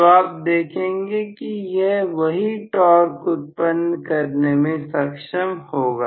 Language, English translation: Hindi, So, you are going to see that it will be able to offer the same torque